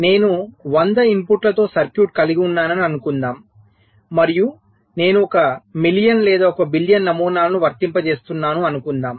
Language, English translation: Telugu, but suppose i have a circuit with hundred inputs and i am applying, lets say, one million or one billion patterns